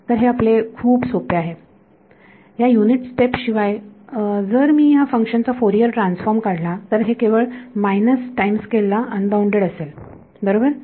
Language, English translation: Marathi, So, this is your very simple right without this unit step if I try to take the Fourier transform of this function is only unbounded at the minus time scale right